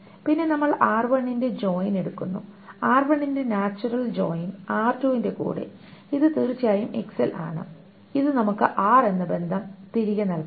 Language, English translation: Malayalam, Now, and then we take the join of r1, natural join of r1 with r2, which is of course on X, this must give us back the relation R